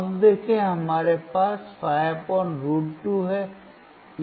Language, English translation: Hindi, see so now, we have 5 / √ 2